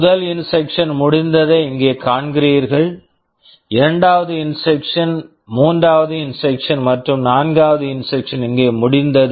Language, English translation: Tamil, You see here first instruction is finished; second instruction was finished here, third instruction here, fourth instruction here